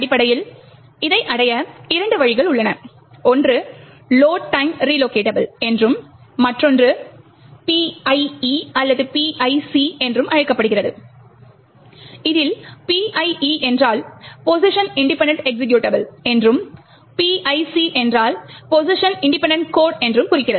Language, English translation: Tamil, Essentially, there are two ways to achieve this, one is known as the Load Time Relocatable and the other one is known as the PIE or PIC which stands for Position Independent Executable and Position Independent Code respectively